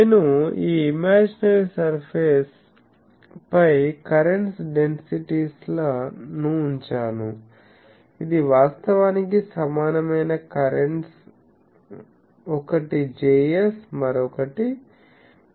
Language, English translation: Telugu, So, I put on this imaginary surface to current densities, this is actually equivalent currents one is Js another is M s